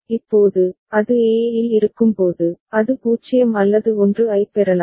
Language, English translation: Tamil, Now, when it is at e, it can receive a 0 or 1